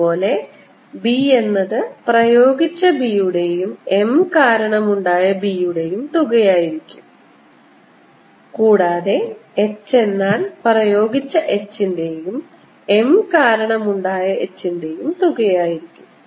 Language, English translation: Malayalam, this is a solution for m and therefore b, which is b applied plus b due to m, or h, which is h applied plus h due to m, is going to be equal to h